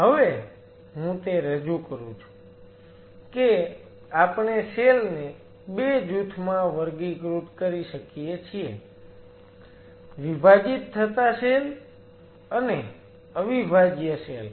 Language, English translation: Gujarati, Now I am introducing that we can classify the cells under 2 groups dividing cells and non dividing cells